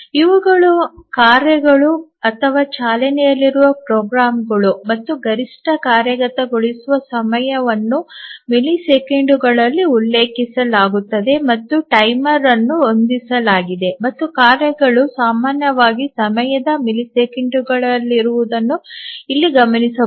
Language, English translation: Kannada, These are the tasks or the programs to run and the maximum execution time is mentioned in milliseconds and the timer is set and just observe here that the tasks are typically the time is in milliseconds